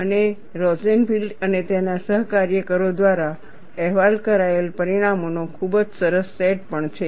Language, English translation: Gujarati, And there is also a very nice set of results reported by Rosenfield and his co workers